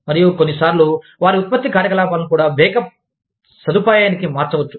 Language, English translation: Telugu, And, sometimes, even shift their production operations, to a backup facility